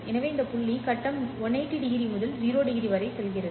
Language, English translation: Tamil, So at this point the phase goes from 180 degree to 0 degrees